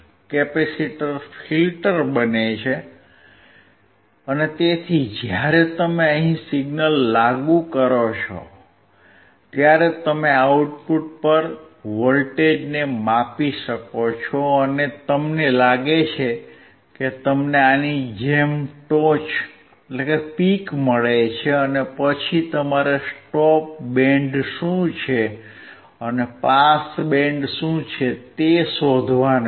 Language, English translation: Gujarati, Capacitor becomes filter, so when you apply signal here, then you can measure the voltage across output, and you find that you get the peak like this, and, you have to find what is a stop band and what is a pass band